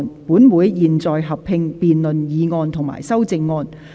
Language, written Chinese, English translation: Cantonese, 本會現在合併辯論議案及修正案。, This Council will conduct a joint debate on the motion and the amendment